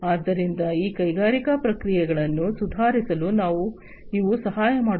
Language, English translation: Kannada, So, these will help in improving these industrial processes